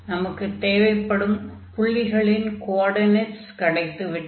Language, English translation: Tamil, So, we have all the coordinates we can change the order now